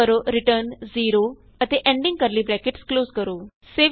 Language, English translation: Punjabi, Type return 0 and close the ending curly bracket